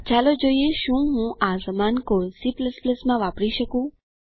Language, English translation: Gujarati, Let see if i can use the same code in C++, too